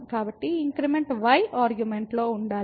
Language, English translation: Telugu, So, the increment has to be in argument